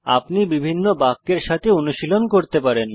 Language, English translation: Bengali, You can keep practicing with different sentences